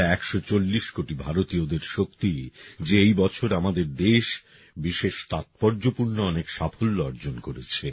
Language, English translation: Bengali, It is on account of the strength of 140 crore Indians that this year, our country has attained many special achievements